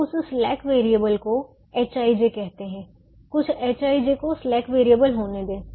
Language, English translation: Hindi, now let that slack variable be called h i j, let some h i j be the slack variable